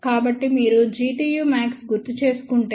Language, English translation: Telugu, So, if you recall G tu max was about 10